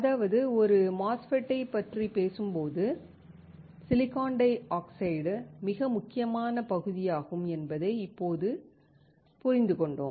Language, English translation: Tamil, That means, now we understood that the silicon dioxide is extremely important part when we talk about a MOSFET